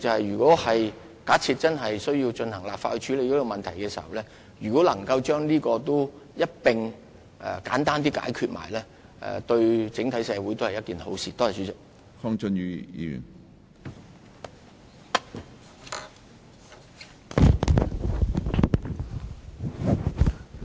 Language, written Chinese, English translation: Cantonese, 如果真的透過立法處理這個問題時，能夠將這事宜一併簡單地解決，對整體社會也是好事。, If we really can in tackling the matter by legislative means address this issue so simply at the same time it is indeed a good thing to society